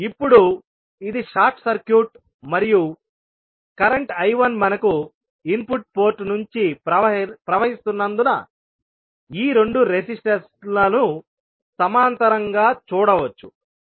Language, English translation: Telugu, Now, since this is short circuited and current I 1 is flowing form the input port we will have, will see these two resistances in parallel